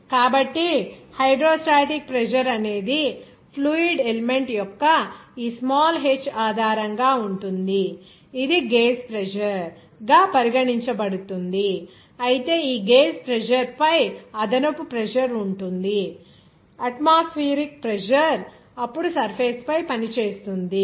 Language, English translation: Telugu, So, whatever hydrostatic pressure will be based on this small h of this fluid element, it will be regarded as gauge pressure, whereas on this gauge pressure there will be extra pressure that is atmospheric pressure will be acting on that on the surface then to be that atmospheric pressure